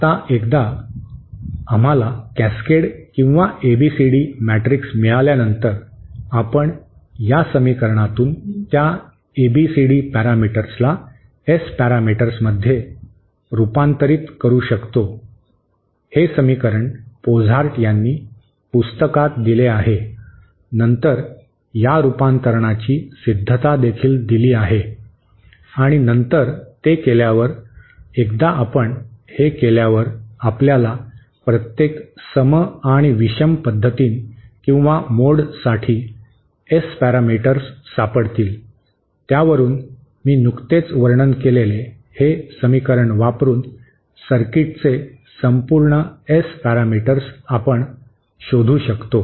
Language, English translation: Marathi, Now, once we get the cascade or ABCD matrix, we can convert those ABCD parameters to the S parameters from this equation, this equation is given in the book by Pozart, the derivation of this conversion is also given and then once we do that, we will get the, once we do that, we find out the S parameters for the individual even and odd modes, from that we can find out the overall S parameters of the circuit using this equation that I just described